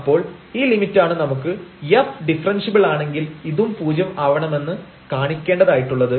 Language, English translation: Malayalam, So, this is this limit which we want to show that if f is differentiable this must be equal to 0